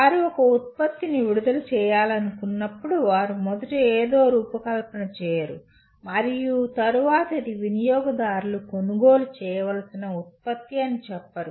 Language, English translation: Telugu, Whenever they want to release a product, they first do not design something and then say this is the product which the customers have to buy